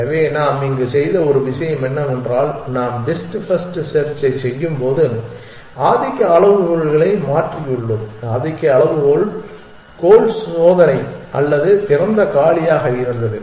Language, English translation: Tamil, So, one thing that we have done here is that we have changed the domination criteria when we are doing best first search the domination criteria was either goal test or open empty